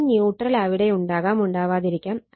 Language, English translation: Malayalam, This is neutral may be there, neutral may not be there